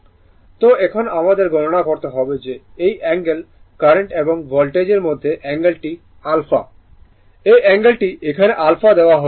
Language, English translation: Bengali, So, now, we have to , compute that this this angle angle between current and Voltage this angle is alpha this angle is given here alpha